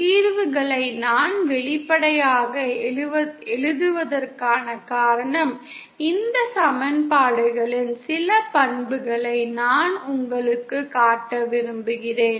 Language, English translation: Tamil, The reason I am writing explicitly the solutions is because I want to show you some of the properties of these equations